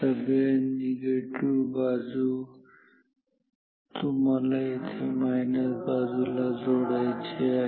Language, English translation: Marathi, All negative sides you have to connect to the minus side here also this will go to the minus side like this ok